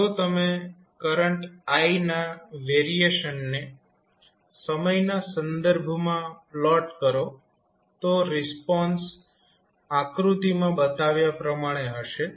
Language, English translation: Gujarati, If you plot the variation of current I with respect to time t the response would be like shown in the figure